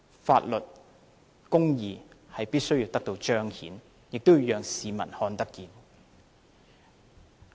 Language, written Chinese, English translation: Cantonese, 法律和公義必須得到彰顯，也要讓市民看見。, Law must be manifested and justice done and people should be made to see that same is done